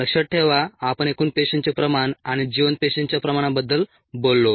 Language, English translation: Marathi, remember we talked about total cell concentration and viable cell concentration